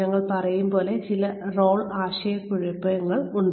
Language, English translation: Malayalam, There is some role confusion, as we call it